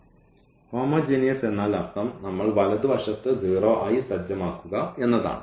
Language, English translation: Malayalam, So, homogeneous means the right hand side we have set to 0